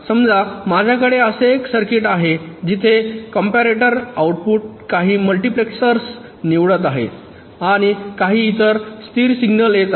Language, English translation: Marathi, suppose i have a circuit like this where the output of a comparator is selecting some multiplexers and also some other stable signal is coming